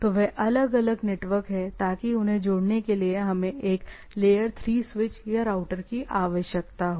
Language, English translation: Hindi, So, they are separate networks in order to, in order to connect them, we require a layer 3 switch or a router